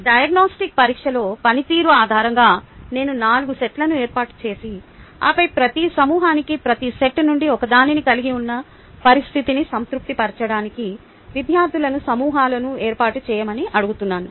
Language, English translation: Telugu, based on the performance in the diagnostic test, i form four sets and then ask the students to form groups to satisfy the condition that each group has one from each set